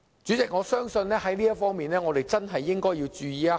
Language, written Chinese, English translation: Cantonese, 主席，我相信我們在這方面真的要注意一下。, President I think the Government should be alert to this